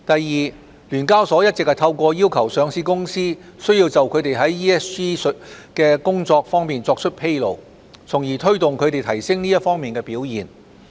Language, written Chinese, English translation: Cantonese, 二聯交所一直透過要求上市公司須就它們在 ESG 方面的工作作出披露，從而推動它們提升這方面的表現。, 2 SEHK has been pursuing the objective of enhancing the performance of listed companies in ESG aspects by requiring them to disclose the extent of their work